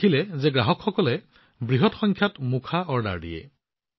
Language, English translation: Assamese, He saw that customers were placing orders for masks in large numbers